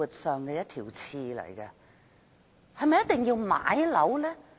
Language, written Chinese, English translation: Cantonese, 是否一定要買樓呢？, Is it a must to buy a flat?